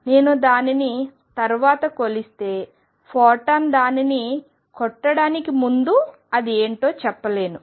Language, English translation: Telugu, If I measure it later I cannot say what it was before the photon hit it